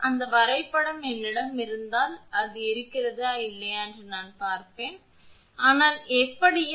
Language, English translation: Tamil, Just hold on if I have that diagram I will see if it is there or not, it is not here, but anyway